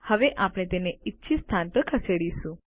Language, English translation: Gujarati, Now we will move them to the desired location